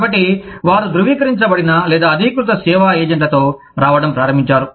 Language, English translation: Telugu, So, they started coming up with, the certified or authorized service agents